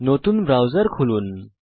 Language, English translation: Bengali, Open a new browser